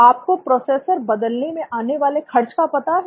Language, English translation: Hindi, Do you know the cost of the replacing a processor